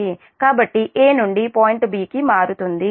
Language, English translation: Telugu, so from a the point will be shifting to b